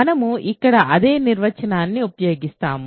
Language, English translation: Telugu, So, we use the same definition here